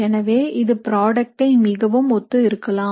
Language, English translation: Tamil, So this would be very similar to product